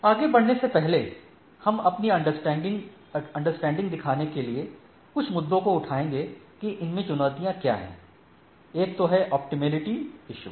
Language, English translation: Hindi, So, before that we take up few couple of issues to show that we understand that what is the challenges right, one is the issue of optimality right